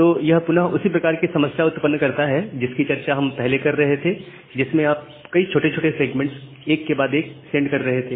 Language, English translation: Hindi, So, this again create the same problem that we were discussing earlier that you are sending multiple small segments one after another